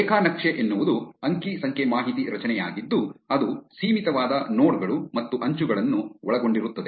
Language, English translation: Kannada, A graph is a data structure which consists of a finite set of nodes and edges